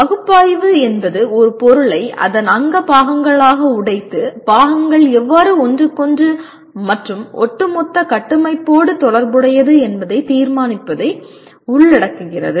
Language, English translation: Tamil, Analyze involves breaking the material into its constituent parts and determining how the parts are related to one another and to an overall structure